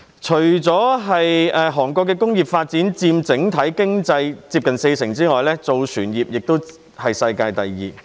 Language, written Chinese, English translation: Cantonese, 除工業發展佔整體經濟接近四成外，南韓的造船業更是世界第二。, While the industrial sector accounts for 40 % of the overall economy South Korea also has the second largest shipbuilding industry in the world